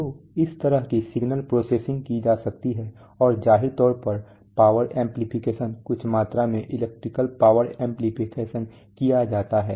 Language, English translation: Hindi, So such signal processing may be done and obviously power amplification some amount of electrical power amplification is done